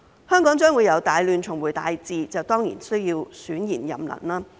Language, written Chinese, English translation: Cantonese, 香港將會由"大亂"重回"大治"，當然需要選賢任能。, Hong Kong will return from great chaos to great order and thus it is certainly necessary to elect the best and the brightest